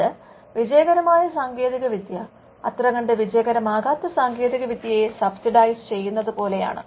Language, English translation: Malayalam, So, its kinds of subsidizes the it is like the successful technology subsidizing the ones that do not become successful